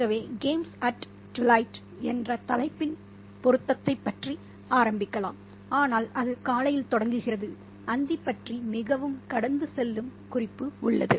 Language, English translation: Tamil, So let's start about the relevance of the title, games at Twilight, but it starts in the morning and there's very passing reference to Twilight